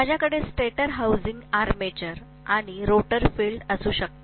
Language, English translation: Marathi, I can have stator housing the armature and rotor housing the field